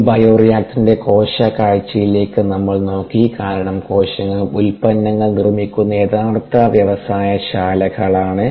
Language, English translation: Malayalam, then, finally, we looked at the ah cell view of the bioreactor, because cells are the actual factories that are producing the product